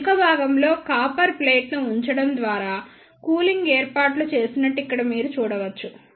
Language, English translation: Telugu, Here you can see that the cooling arrangement are made by placing a copper plate at the back end